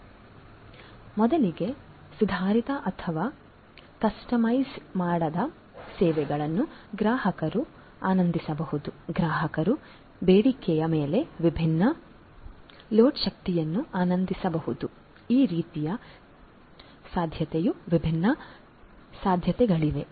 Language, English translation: Kannada, So, first of all improved or customized improved or customized services can be enjoyed by the consumers, the consumers can on demand on demand enjoy different loads of energy that is a possibility like this there are different different possibilities